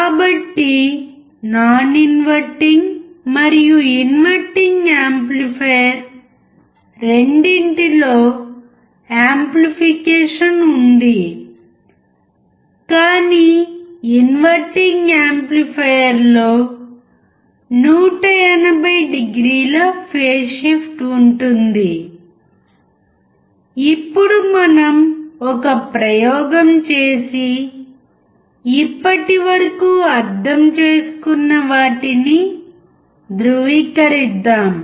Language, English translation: Telugu, So, in both non inverting and inverting amplifier, there is amplification, but in inverting amplifier, the amplification is accompanied by a phase change of 180o